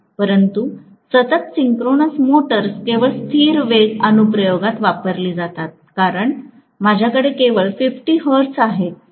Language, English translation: Marathi, But invariably synchronous motors are used only in constant speed application because I have only 50 hertz